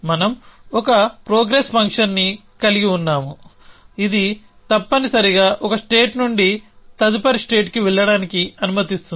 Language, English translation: Telugu, So, we have a progress function which allows it a move from one states to next state essentially